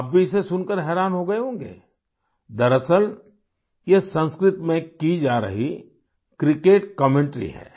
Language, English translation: Hindi, Actually, this is a cricket commentary being done in Sanskrit